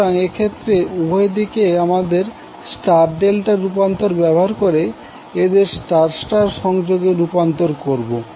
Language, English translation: Bengali, So what you have to do in that case, you have to use star delta transformation on both sides, convert them into star star combination